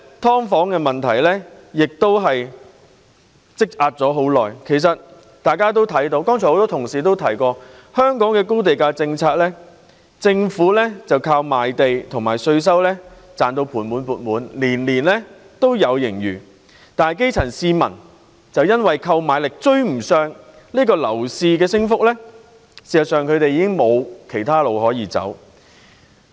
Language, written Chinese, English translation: Cantonese, 大家都看到，很多同事剛才都提到，香港推行的是高地價政策，政府靠賣地及稅收而盤滿缽滿，每年都有盈餘，但基層市民卻因為購買力追不上樓市升幅，已經無路可走。, Everyone can see that many colleagues have also mentioned that just now Hong Kong has been pursuing a high land price policy . The Government is making huge revenue from land sale proceeds and stamp duty . Every year there is a budget surplus